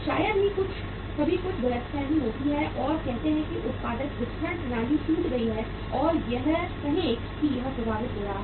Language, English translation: Hindi, Sometime there are some mishappenings and the say productive distribution system is broken down or it is uh say it is getting affected